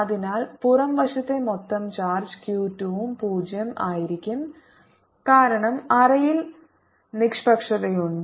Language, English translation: Malayalam, so that outerside total charge q two, velocity zero because the cavities is neutral